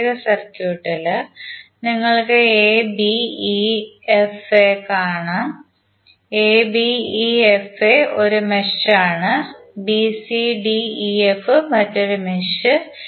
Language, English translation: Malayalam, In the particular circuit, you will see abefa, abefa is 1 mesh and bcdef, bcdef is another mesh